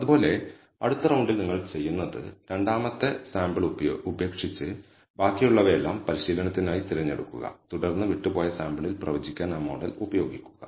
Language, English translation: Malayalam, And similarly, in the next round what you do is, leave out the second sample and choose all the remaining for training and then use that model for predicting on the sample that is left out